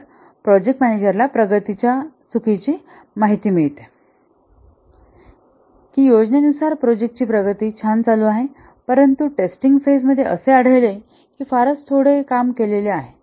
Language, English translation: Marathi, So the project manager gets a false impression of the progress that the progress is the project is proceeding nicely according to the plan but during the testing phase finds out that very little has been done